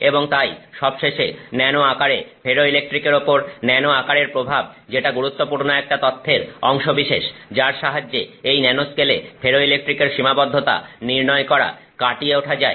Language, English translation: Bengali, And therefore finally the effect of nano size on the ferroelectrics which is part of the important information which was used to you know determine this, know, overcoming this limitations of ferroelectrics in the nanoscale